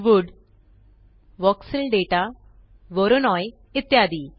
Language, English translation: Marathi, Wood, Voxel data, voronoi, etc